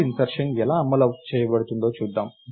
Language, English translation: Telugu, Lets see how insertion of Node might be implemented